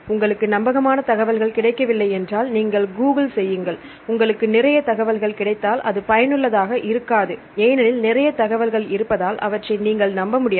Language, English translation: Tamil, If you do not get the reliable information if you Google it and if you get lot of lot of information then it is not useful because you cannot trust